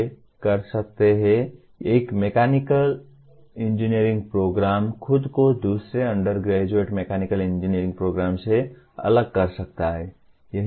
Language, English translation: Hindi, They can, one Mechanical Engineering program can differentiate itself from another undergraduate mechanical engineering program